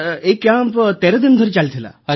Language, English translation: Odia, Sir, it was was a 13day camp